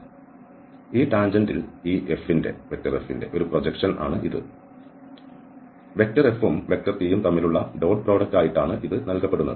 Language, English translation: Malayalam, So, this is a projection of this F on this tangent which is given by, which is given by this F dot product with this tangent vector t